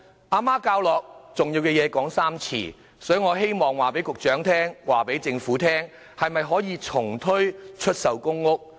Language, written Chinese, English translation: Cantonese, 媽媽教我重要的事情要說三遍，所以我希望告訴局長、告訴政府：可否重推出售公屋？, My mother taught me that important things should be repeated three times so I have to say this to the Secretary and the Government Can TPS be introduced?